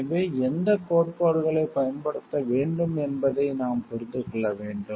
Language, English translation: Tamil, So, we have to understand like which theories to use